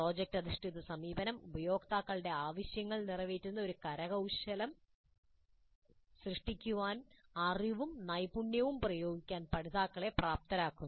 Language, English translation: Malayalam, The project based approach is enabling learners to apply knowledge and skills to create an artifact that satisfies users needs